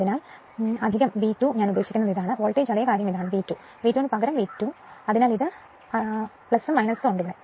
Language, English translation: Malayalam, So, plus V 2 I mean this is the voltage same thing this is the V 2; V 2 dash rather V 2 dash right so, this is plus minus